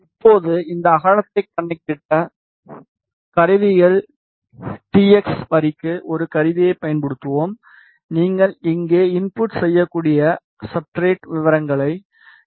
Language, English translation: Tamil, Now, to calculate this width we will use a tool go to tools tx line the substrate details you can enter here 2